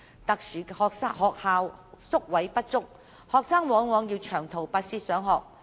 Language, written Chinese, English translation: Cantonese, 特殊學校宿位不足，學生往往要長途跋涉上學。, Due to insufficient boarding places in specials schools students would have to commute a long way to school